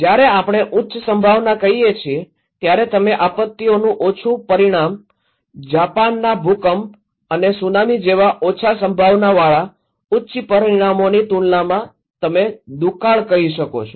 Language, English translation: Gujarati, When we are saying high probability, low consequence of disasters like you can say the drought compared to low probability high consequences like the 2011 Japan earthquake and Tsunami